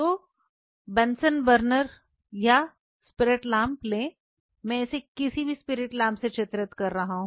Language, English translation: Hindi, So, take a bunsen burner or a spirit lamp I am drawing it with any spirit lamp